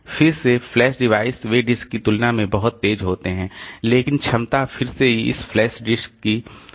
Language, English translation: Hindi, Again flash devices they are much faster compared to this but the capacity wise again it is less